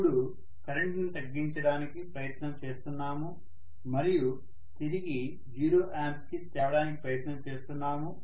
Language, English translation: Telugu, Now I am trying to reduce the current and I want to bring it back to 0 ampere